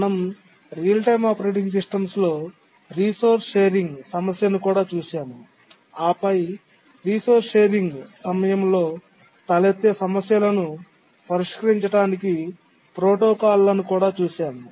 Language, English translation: Telugu, We had also looked at resource sharing problem in real time operating systems and we had looked at protocols to help solve the problems that arise during resource sharing